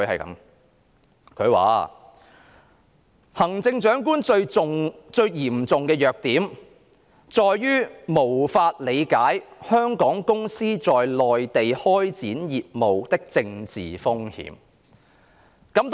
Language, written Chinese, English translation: Cantonese, 他寫："行政長官最嚴重的弱點在於無法理解香港公司在內地開展業務的政治風險"。, He wrote The most serious weakness of Chief Executives has been an inability to comprehend the political risk for Hong Kong firms when doing business on the Mainland